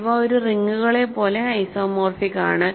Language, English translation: Malayalam, So, the conclusion is these are isomorphic as a rings